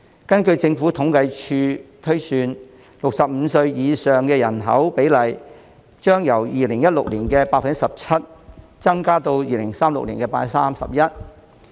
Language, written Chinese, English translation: Cantonese, 根據政府統計處推算 ，65 歲及以上人口的比例，將由2016年的 17%， 增加至2036年的 31%。, According to the projection of the Census and Statistics Department the ratio of population aged 65 and above will rise from 17 % in 2016 to 31 % in 2036